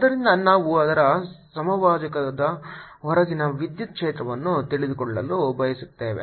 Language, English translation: Kannada, so we want to know the electric field just outside its equator